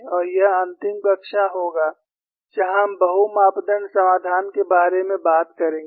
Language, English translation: Hindi, And this would be the last class, where we would be talking about multi parameter solution